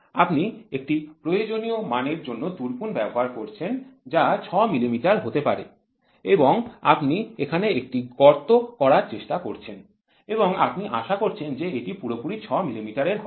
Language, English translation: Bengali, You are using a drill of a required dimension may be 6 millimeter and you are trying to drill a hole there it is expected that a exact 6 millimeter is done there if it is not exact 6 millimeter you will be never able to get 5